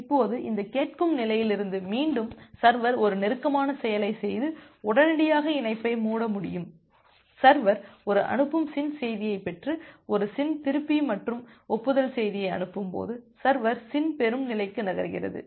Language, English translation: Tamil, Now, from this listen state again the server can execute a close and close the connection immediately, when the server has received a send SYN message and send back a SYN plus acknowledgement message, server moves to the SYN receive state